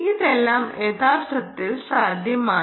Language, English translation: Malayalam, all this is actually possible